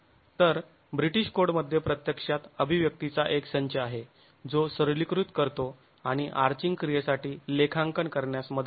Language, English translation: Marathi, So, the British code actually has a set of expressions that simplifies and helps in accounting for the arching action